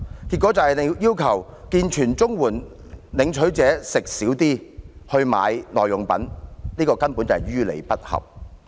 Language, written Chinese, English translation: Cantonese, 結果便是要求健全綜援領取者少吃一點來購買耐用品，這根本是於理不合。, This is indeed requiring able - bodied CSSA recipients to cut their food consumption to meet the expenses on durables